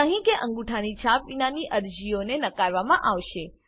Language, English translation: Gujarati, Applications without signature or thumb print will be rejected